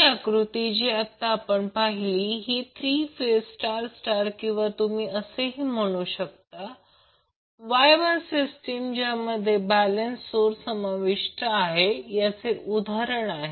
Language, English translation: Marathi, So in the figure which we just saw in this slide this is an example of unbalanced three phase star star or you can also say Y Y system that consists of balance source